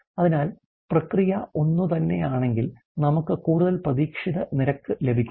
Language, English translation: Malayalam, So, that the process being the same can be we can having more expectability rate